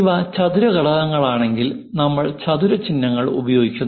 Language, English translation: Malayalam, If these are square components we use symbol squares